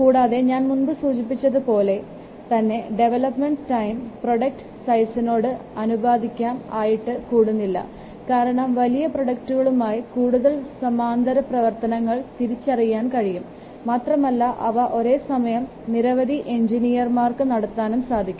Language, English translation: Malayalam, And you can say that I'll just say that development time it does not increase linearly with the product size that I have only told you because for larger products, more parallel activities can be identified and they can be carried out simultaneously by a number of engineers